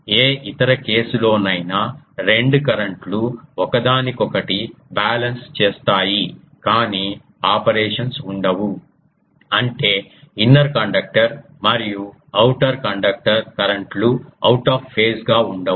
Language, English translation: Telugu, In any other case the two currents will balance each other, but the operations won't be; that means, ah inner conductor and outer conductor currents won't be out of phase